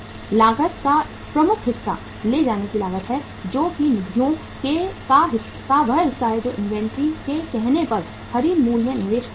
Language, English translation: Hindi, Major chunk of the cost is the carrying cost which is that part of the funds which are invested in the say purchase price of the inventory